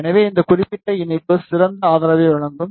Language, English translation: Tamil, So, this particular connector will provide better support